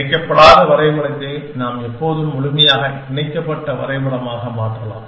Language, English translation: Tamil, And we can always convert a nonconnected graph to a completely connected graph